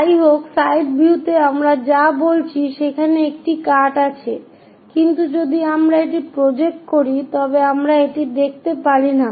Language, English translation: Bengali, However, in the side view what we are saying is there is a cut, but we cannot view it if we are projecting it